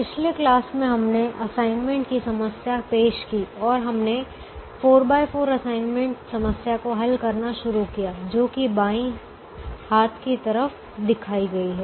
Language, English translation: Hindi, in the last class we introduced the assignment problem and we started solving a four by four assignment problem, which is shown on the left hand side